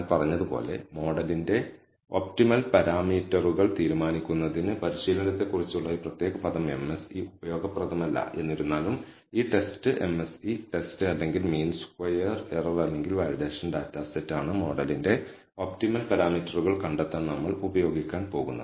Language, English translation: Malayalam, So, this particular term as I said the MSE on training is not useful for the purpose of deciding on the optimal number of parameters of the model; however, this test MSE test or the mean squared error or the validation data set is the one that we are going use for finding the optimal number of parameters of the model